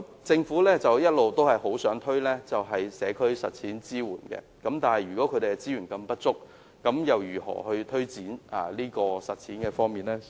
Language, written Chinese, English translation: Cantonese, 政府一直希望推動社區實踐計劃，但如果他們的資源如此不足，試問又如何推展呢？, All along the Government has hoped that a community practice programme can be implemented . But if their resources are so insufficient how can they be able to take forward this programme?